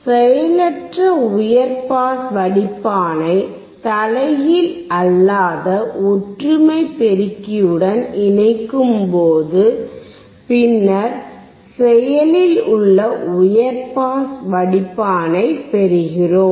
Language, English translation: Tamil, When we connect the passive high pass filter to the non inverting unity amplifier, then we get active high pass filter